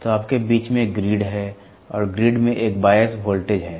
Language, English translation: Hindi, So, in between you have a grid and grid is having a bias voltage